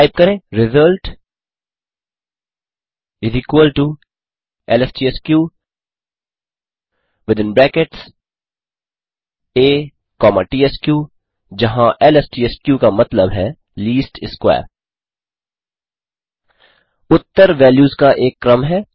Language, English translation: Hindi, Type result = lstsq within brackets A comma tsq where lstsq stands for least square The result is a sequence of values